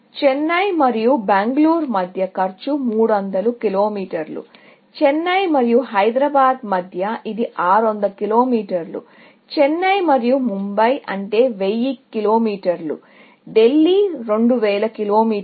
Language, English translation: Telugu, Let us say, between Chennai and Bangalore, the cost is 300 Kilometers; between Chennai and Hyderabad, it is 600 Kilometers; Chennai and Mumbai; it is, let us say, 1000 Kilometers, and Delhi is 2000 Kilometers